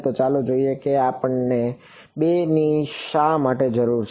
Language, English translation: Gujarati, So, let us see why do we need 2